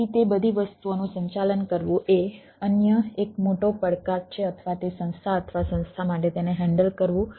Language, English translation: Gujarati, so managing all those things is a another big challenge, or ah for the organization or institution to handle that